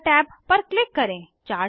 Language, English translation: Hindi, Click on Markers tab